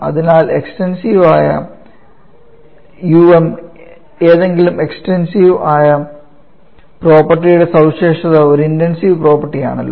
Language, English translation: Malayalam, So um, the specification that is you know that the specification of any extensive property itself is an intensive property